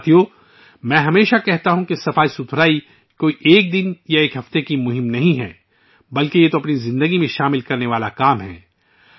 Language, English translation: Urdu, Friends, I always say that cleanliness is not a campaign for a day or a week but it is an endeavor to be implemented for life